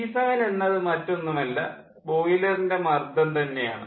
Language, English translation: Malayalam, p seven is nothing but the boiler pressure